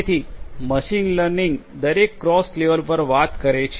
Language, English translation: Gujarati, So, this is what machine learning talks about at every cross level